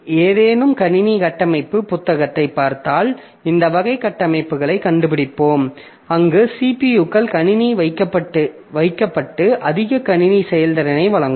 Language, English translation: Tamil, So if you look into any computer architecture books, you will find this type of architectures where the CPUs are placed in the computer to provide more computing performance